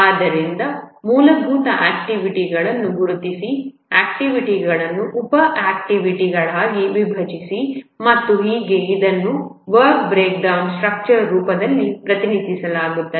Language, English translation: Kannada, So basically identify the activities, break the activities into sub activities and so on and this is represented in the form of a work breakdown structure